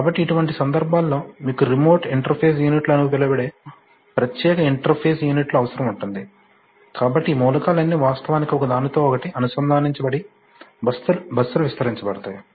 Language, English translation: Telugu, So in such cases, you need special interface units which are called remote interface units, so this is the way that all these elements are actually connected with each other and buses are extended